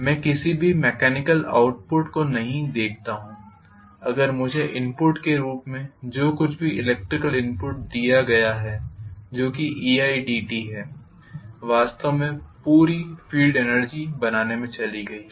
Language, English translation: Hindi, If I do not see any mechanical output whatever I have given as the input of electrical energy which was e i dt that entire thing has gone towards actually creating you know only the field energy